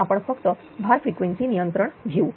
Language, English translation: Marathi, So, only we will take the load frequency control